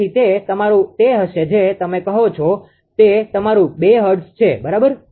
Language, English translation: Gujarati, So, it will be your what you call that is your 2 hertz, right